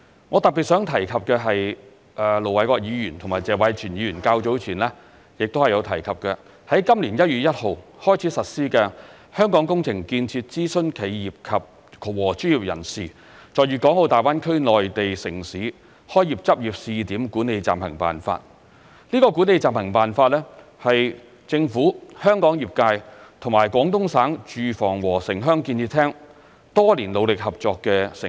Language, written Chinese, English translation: Cantonese, 我特別想提及的是盧偉國議員和謝偉銓議員較早前亦有提及的，在今年1月1日開始實施的《香港工程建設諮詢企業和專業人士在粵港澳大灣區內地城市開業執業試點管理暫行辦法》，這《管理暫行辦法》是政府、香港業界與廣東省住房和城鄉建設廳多年努力合作的成果。, I especially want to talk about the Interim Guidelines for the Management of Hong Kong Engineering Construction Consultant Enterprises and Professionals Starting Business and Practising in the Guangdong - Hong Kong - Macao Greater Bay Area Cities that Ir Dr LO Wai - kwok and Mr Tony TSE have also mentioned earlier . The Interim Guidelines which took effect on 1 January this year are the concerted efforts of the Government the relevant industry in Hong Kong and the Department of Housing and Urban - Rural Development of Guangdong Province for years